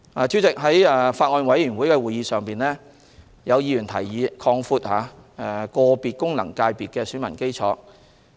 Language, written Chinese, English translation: Cantonese, 主席，在法案委員會會議上，有議員提議擴闊個別功能界別的選民基礎。, President at the meetings of the Bills Committee some Members suggested broadening the electorate of individual FCs